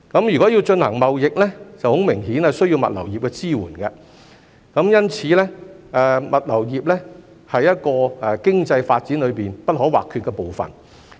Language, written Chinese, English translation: Cantonese, 如果要進行貿易，很明顯需要物流業的支援，因此物流業是經濟發展裏不可或缺的部分。, Support of the logistics industry is obviously crucial for trade since the industry is an integral part of economic development